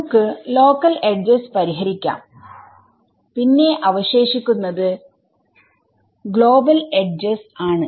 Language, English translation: Malayalam, So, we will fix the local edges what remains is global edges right